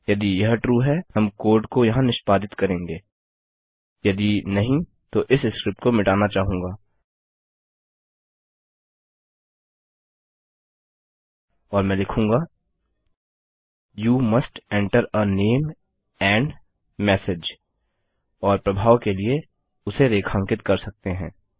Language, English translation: Hindi, Otherwise I want to kill this script and Ill say You must enter a name and message And maybe just underline that for effect